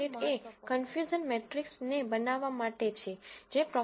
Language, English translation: Gujarati, And library caret is for generating the confusion matrix which Prof